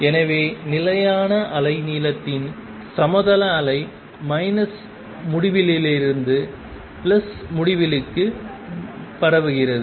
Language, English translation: Tamil, So, the plane wave of constant wave length spreading from minus infinity to plus infinity